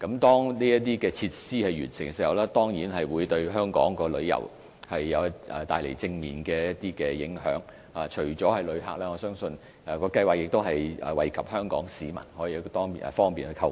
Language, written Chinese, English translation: Cantonese, 當購物城落成後，當然會對香港的旅遊業帶來正面影響，除旅客外，相信亦可惠及香港市民，方便他們購物。, After the commissioning of the shopping centre it will certainly have a positive impact on the tourism industry of Hong Kong . Other than tourists I believe Hong Kong residents will also benefit as shopping has become more convenient